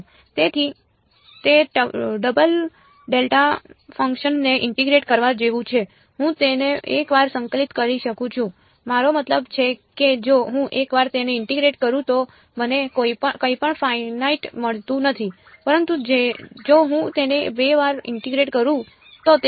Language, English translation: Gujarati, So, it is like integrating a double delta function, I can integrate it once I mean like if I integrate it once I do not get anything finite, but if I integrate it twice